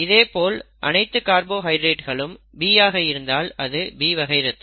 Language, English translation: Tamil, If it is all B carbohydrates being expressed, it is blood group B